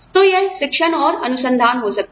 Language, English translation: Hindi, So, it was teaching and research, maybe